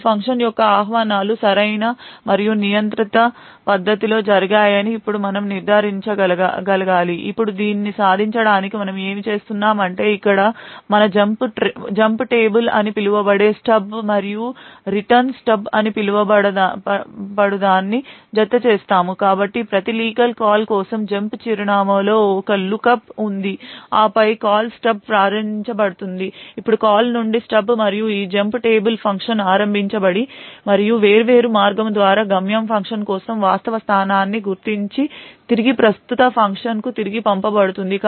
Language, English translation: Telugu, Now we should be able to ensure or that these function invocations are done in a proper and controlled manner now what we do in order to achieve this what we add something known as a jump table which is present here a called Stub and a Return Stub, so for every legal call there is a lookup in the jump address and then the Call Stub is invoked, now from the Call Stub and this jump table we would identify the actual location for the destination function that function would get invoked and through a different path the return is passed back to the present function